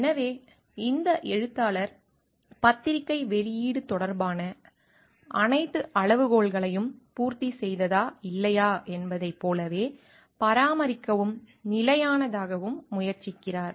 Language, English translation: Tamil, So, these author tries to correspond to and fixed to maintain like all the criteria with respect to the journal publication has been met or not